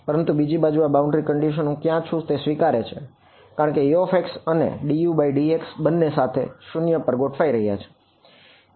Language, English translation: Gujarati, But on the other hand this boundary condition it adapts to where I am because U of x and d U by dx both are together being set to 0